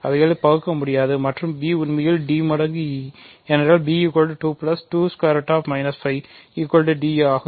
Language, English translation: Tamil, So, they will not; so, and b is actually d times e, right, because b which is 2 plus 2 times square root minus 5 is d times e